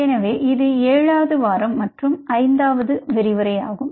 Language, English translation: Tamil, so this is a our lecture five week seven